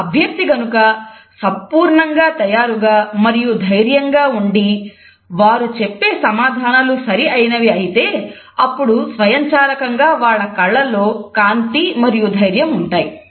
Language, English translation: Telugu, If a candidate is fully prepared and is confident that the answer he or she is providing is correct then automatically there would be a shine and confidence in the eyes